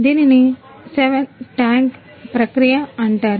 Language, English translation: Telugu, This is called 7 tank process